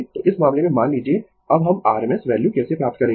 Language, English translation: Hindi, So, in this case, suppose now how we will get the r m s value